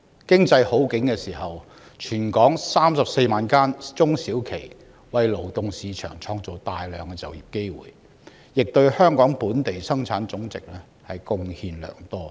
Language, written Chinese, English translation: Cantonese, 經濟好景時，全港34萬間中小企為勞動市場創造大量就業機會，亦對香港本地生產總值貢獻良多。, At times of economic prosperity the 340 000 SMEs in Hong Kong create numerous jobs in the labour market and contribute much to the Gross Domestic Product GDP of Hong Kong